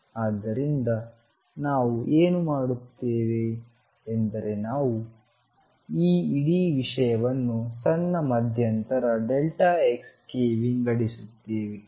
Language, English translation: Kannada, So, what we will do is we will divide this whole thing into small e of interval delta x